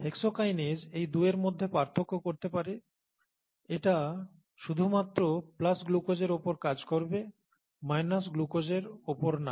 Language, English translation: Bengali, The hexokinase can distinguish between these two, it will act only on glucose it will not act on glucose